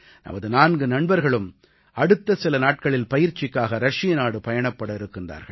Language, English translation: Tamil, Our four friends are about to go to Russia in a few days for their training